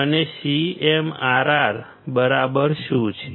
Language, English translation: Gujarati, And what exactly CMRR is